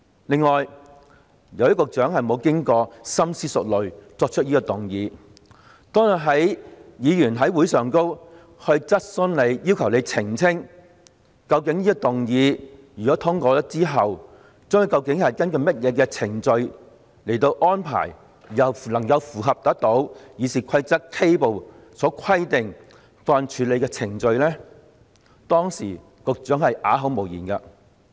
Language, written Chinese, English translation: Cantonese, 此外，由於局長沒有經過深思熟慮便提出這項議案，故此，當日議員在會議上向他提出質詢，要求他澄清如果這項議案獲通過，之後究竟將根據甚麼程序來作安排，以能符合《議事規則》K 部所規定的法案處理程序時，局長啞口無言。, Further as the Secretary proposed this motion without thorough consideration he was struck dumb in the meeting that day when Members put questions to him and requested him to clarify what procedures would be followed for making arrangements in compliance with the procedure on bills as stipulated in Part K of RoP if this motion is passed